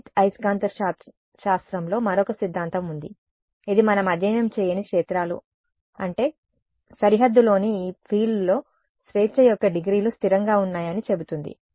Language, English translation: Telugu, There is another theorem in electromagnetics which we have not studied which says that the fields I mean the degrees of freedom in this field on the boundary is fixed